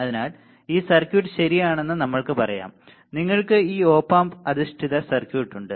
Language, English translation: Malayalam, So, suppose let us say you have this circuit ok, you have this op amp based circuit